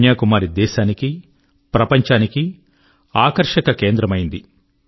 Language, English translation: Telugu, Kanyakumari exudes a special attraction, nationally as well as for the world